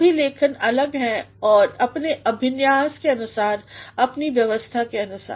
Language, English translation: Hindi, All writings are different in terms of layout, in terms of organization